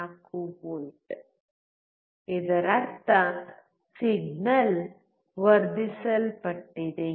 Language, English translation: Kannada, 04V; which means the signal is amplified